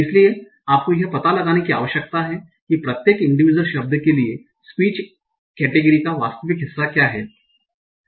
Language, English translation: Hindi, So you need to find out what is the actual part of speech category for each of the individual word